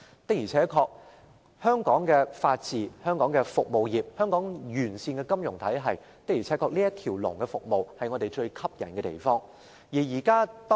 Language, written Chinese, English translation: Cantonese, 當然，憑藉香港的法治環境、多種服務行業及一個完善的金融體系，我們可提供"一條龍"服務，這是我們所擁有的優勢。, With our rule of law a wide variety of services industries and a sound financial system we can provide one - stop services . This is exactly our advantage